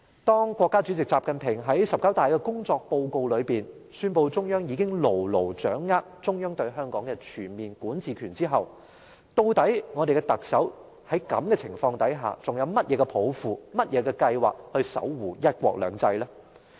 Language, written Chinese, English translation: Cantonese, 當國家主席習近平在"十九大"的工作報告中，宣布中央已牢牢掌握中央對香港的全面管治權後，究竟我們的特首在這種情況下還有甚麼抱負和計劃守護"一國兩制"？, After President XI Jinping in the working report at the 19 National Congress of the Communist Party of China has announced that the central authorities already have a firm control on the comprehensive jurisdiction over Hong Kong does our Chief Executive have any aspiration or plan to safeguard one country two systems under the circumstances?